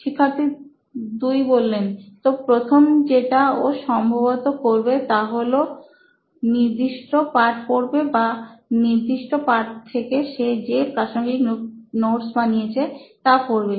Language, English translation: Bengali, Student 2: So the first thing you would probably do is either read the text or the relevant notes that he had prepared for that particular chapter